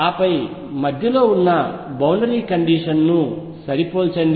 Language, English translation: Telugu, And then match the boundary condition in the middle